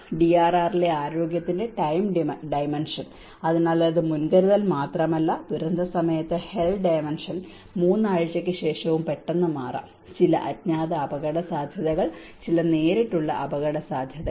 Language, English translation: Malayalam, The time dimension of health in DRR, so it is not only the predisaster, during disaster the hell dimension can abruptly change even after 3 weeks, some unknown risks, some direct risks